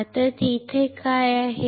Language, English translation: Marathi, Now, what is there